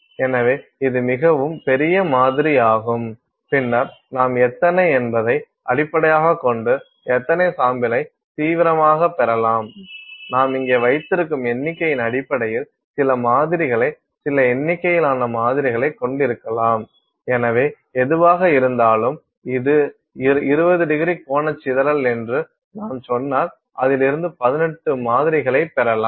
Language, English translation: Tamil, So, this is a fairly large sample and then you can get radially how many ever based on what you are how manyº you have got here based on the number ofº that you have here, you can have some sample some number of samples So, whatever it is, if you say it is 20º angular dispersion that you have then potentially you can get about 18 samples out of it